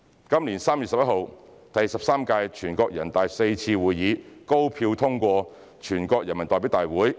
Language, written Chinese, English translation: Cantonese, 今年3月11日，第十三屆全國人大四次會議高票通過《決定》。, On 11 March this year the Decision was passed by an overwhelming majority vote at the fourth session of the 13 NPC